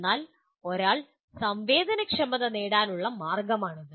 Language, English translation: Malayalam, But that is the way one can sensitize